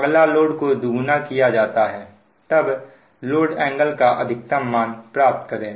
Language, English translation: Hindi, but if the load is doubled, determine the maximum value of the load angle